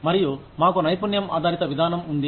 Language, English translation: Telugu, And, we have a skill based approach